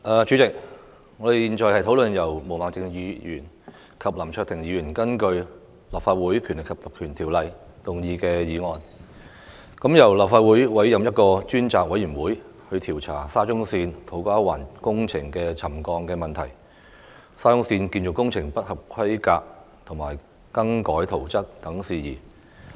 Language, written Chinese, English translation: Cantonese, 主席，我們現在討論由毛孟靜議員和林卓廷議員根據《立法會條例》動議的議案，動議由立法會委任一個專責委員會，調查沙田至中環線土瓜灣工程的沉降問題，以及沙中線建造工程不合規格和更改圖則等事宜。, President now we are discussing the motion moved by Ms Claudia MO and the one to be moved by Mr LAM Cheuk - ting under the Legislative Council Ordinance . The motions respectively seek the appointment of a select committee by the Legislative Council to inquire into the issues of land subsidence relating to the works of the Shatin to Central Link SCL in To Kwa Wan and matters relating to substandard construction works alterations to the construction drawings etc